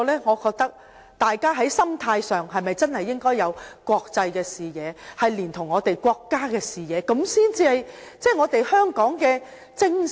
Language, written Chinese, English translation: Cantonese, 我覺得大家在心態上應該有國際視野，連同我們國家的視野，這樣才是我們香港的精神。, In my opinion we need to have an international perspective and a national perspective in our mind as this is the right spirit of Hong Kong